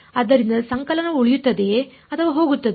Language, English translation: Kannada, So, will the summation remain or will it go away